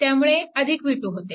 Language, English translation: Marathi, So, this is v 1, right